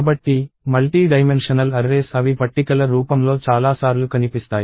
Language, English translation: Telugu, So, multidimensional arrays – they appear many times in the form of tables